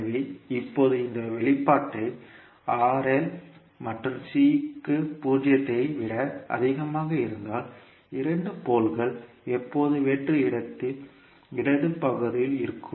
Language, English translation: Tamil, So now if you see this particular expression for r l and c greater than zero two poles will always lie in the left half of s plain